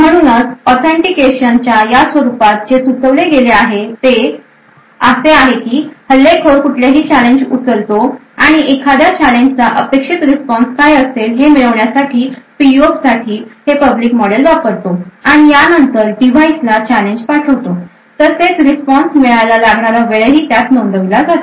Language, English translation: Marathi, Therefore, in this form of authentication what is suggested is that the attacker picks out a random challenge, uses this public model for the PUF to obtain what an expected response for that particular challenge and then sends out the challenge to the device